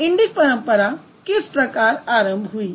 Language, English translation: Hindi, So that's how the Indic tradition evolved